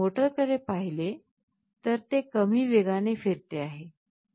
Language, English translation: Marathi, If you look into the motor, it is rotating at a slower speed